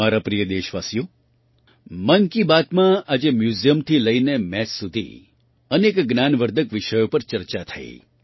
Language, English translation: Gujarati, My dear countrymen, today in 'Mann Ki Baat', many informative topics from museum to maths were discussed